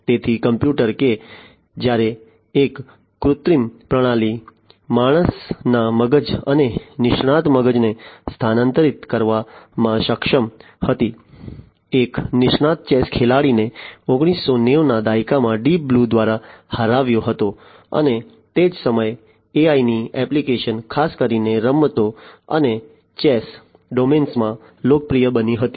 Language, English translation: Gujarati, So, the computer so, that was when an artificial system was able to supersede the brain of a human being and an expert brain, an expert chess player was defeated by Deep Blue in 1990s and that is when the applications of AI became popular in the domain of games and chess, particularly